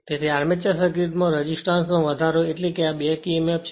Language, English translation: Gujarati, So, increase the resistance in the armature circuit means the, this is your back Emf